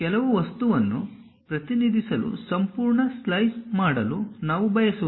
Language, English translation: Kannada, We do not want to make complete slice to represent some object